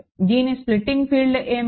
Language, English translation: Telugu, What is the splitting field